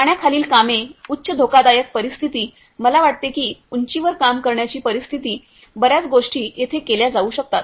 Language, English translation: Marathi, Underwater works, high hazardous situation I think that situation in working at height right, so many things can be done here